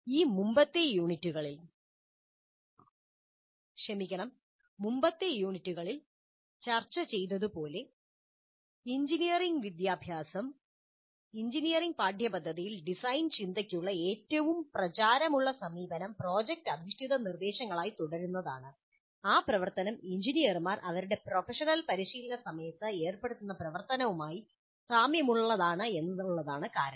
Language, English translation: Malayalam, Now, as discussed in these earlier units, the most popular approach for design thinking in engineering curricula was and continues to be project based instruction because that activity most closely resembles the activity that engineers engage in during their professional practice